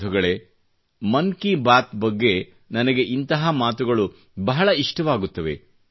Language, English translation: Kannada, Friends, this is something I really like about the "Man Ki Baat" programme